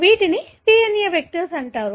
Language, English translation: Telugu, These are called as DNA vectors